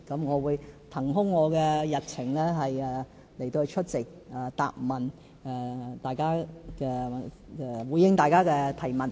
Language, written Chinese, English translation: Cantonese, 我會騰空日程出席答問會，回應大家的提問。, I will shuffle my schedule to make way for the Question and Answer Sessions during which I will respond to Members questions